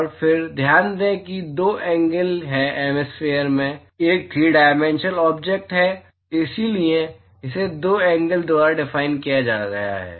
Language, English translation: Hindi, And then note that there are two angles, hemisphere is a 3 dimensional object so it is defined by two angles